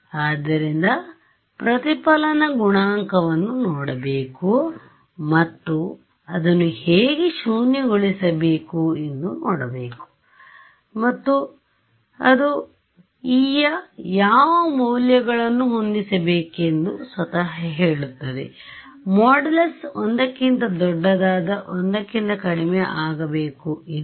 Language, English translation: Kannada, So, I should look at the reflection coefficient and see how to make it zero and that itself will tell me what values of e to set, should the modulus less than one equal to one greater than one